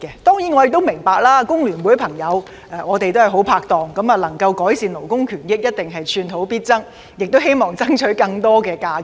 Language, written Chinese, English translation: Cantonese, 當然，我亦明白若能夠改善勞工權益，我們的好拍檔工聯會朋友必定寸土必爭，希望爭取更多假期。, Of course I also understand that when it comes to improving labour rights and interests our great partner FTU will definitely fight for every inch in the hope of securing more additional holidays